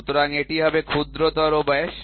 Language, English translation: Bengali, So, this will be the minor diameter